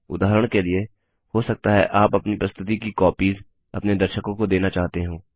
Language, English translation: Hindi, For example, you may want to give copies of your presentation to your audience for later reference